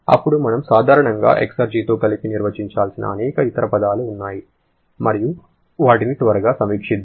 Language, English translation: Telugu, Now, there are several other terms that we generally have to define in conjunction with exergy and let us quickly review them